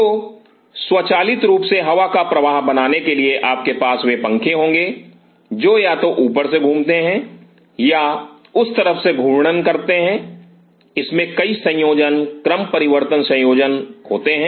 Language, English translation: Hindi, So, automatically to make the air flow you will have those fans either rotating from the top or rotating from the site in there several combination permutation combinations in do it